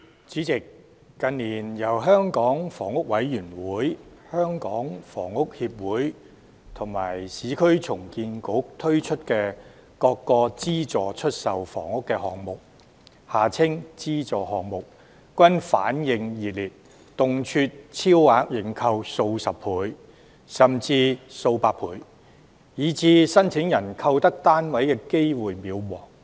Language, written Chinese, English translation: Cantonese, 主席，近年，由香港房屋委員會、香港房屋協會及市區重建局推出的各個資助出售房屋項目均反應熱烈，動輒超額認購數十倍甚至數百倍，以致申請人購得單位的機會渺茫。, President in recent years the various subsidized sale flats projects launched by the Hong Kong Housing Authority the Hong Kong Housing Society and the Urban Renewal Authority have received overwhelming responses and have often been oversubscribed by dozens or even hundreds of times resulting in slim chances for applicants to purchase flats